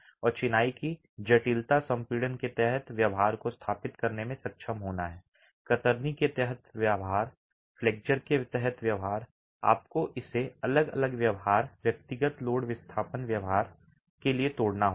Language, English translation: Hindi, And the complexity of masonry is to be able to establish the behavior under compression, the behavior under shear, the behavior under flexure, you have to break it down to the individual behavior, individual load displacement behavior